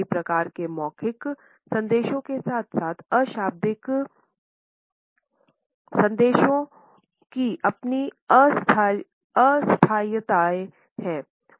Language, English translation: Hindi, All types of verbal messages as well as nonverbal messages have their own temporalities